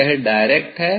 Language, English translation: Hindi, this is the direct one